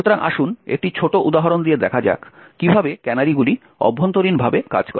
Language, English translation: Bengali, So, let us see how the canaries actually work internally with a small example